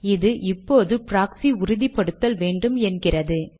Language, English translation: Tamil, Alright, it comes and says proxy authentication is required